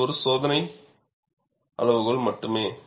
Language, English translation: Tamil, This is only a screening criteria